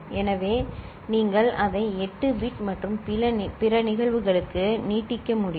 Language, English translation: Tamil, So, you can extend it for 8 bit and other cases